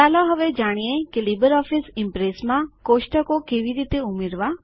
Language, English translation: Gujarati, Lets now learn how to add a table in LibreOffice Impress